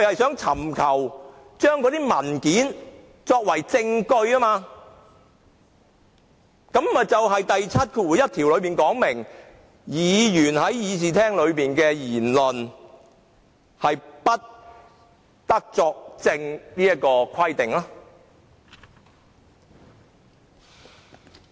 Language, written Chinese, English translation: Cantonese, 政府尋求使用有關文件作為證據，已違反《條例》第71條有關議員在會議席上的言論不得作為證據的規定。, By seeking to adduce the documents as evidence the Government has already breached section 71 of the Ordinance in respect of the provision forbidding the use of any words spoken by Members before the Council or a committee as evidence